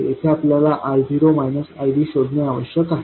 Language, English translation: Marathi, Here we need to find I0 minus ID